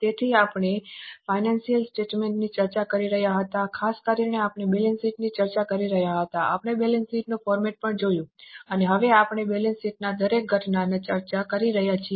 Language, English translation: Gujarati, So, we were discussing financial statements, particularly we were discussing balance sheet, we have also seen the format of balance sheet and now we are discussing each element of balance sheet